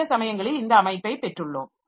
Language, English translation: Tamil, So sometimes we have got this configuration